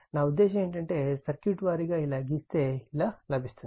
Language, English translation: Telugu, I mean the circuit wise if we draw like this, it will be something like this